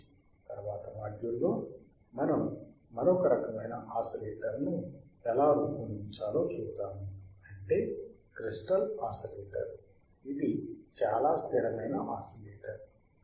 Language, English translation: Telugu, We we will see how we can design another kind of oscillator, that is your crystal oscillator,; that is your crystal oscillator which is very stable oscillator crystal oscillator